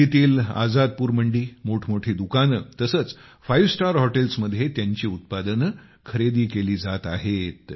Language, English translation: Marathi, Their produce is being supplied directly to Azadpur Mandi, Delhi, Big Retail Chains and Five Star Hotels